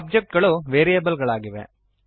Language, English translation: Kannada, Objects are variables